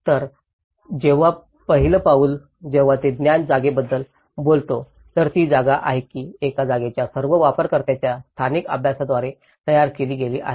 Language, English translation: Marathi, So, the first aspect, when he talks about the perceived space, which is the space which has been produced by the spatial practice of all the users of a space